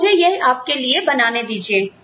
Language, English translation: Hindi, So, let me just draw this, for you